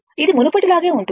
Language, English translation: Telugu, This is same as before